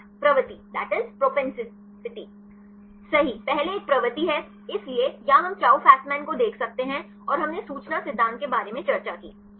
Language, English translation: Hindi, propensity Right first one is the propensity; so, or we can see Chou Fasman and we discussed about the information theory